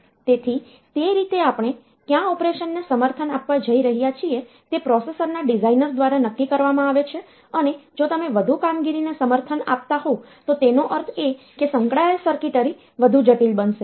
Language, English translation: Gujarati, So, that way what are the operations that we are going to support, that is decided by the designer of the processor and if you are supporting more operations means the circuitry associated circuitry will become more complex